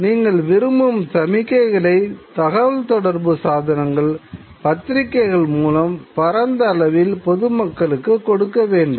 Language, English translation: Tamil, You need to give the signals that you want through the communication mechanism, through the press, to the larger public